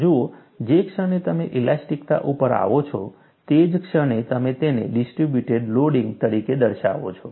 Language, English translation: Gujarati, See, the moment you come to elasticity, you show that as a distributed loading